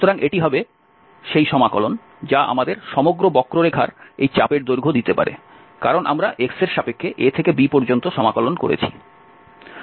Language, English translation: Bengali, So, this will be the integral which can give us this arc length of the whole curve because we are integrating over x from a to b